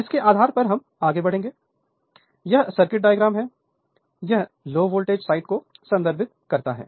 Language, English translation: Hindi, So, based on that we will move so this is the circuit diagram that it is refer to low voltage side